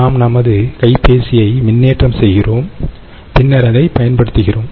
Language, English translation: Tamil, ok, we charge our cell phone and then use it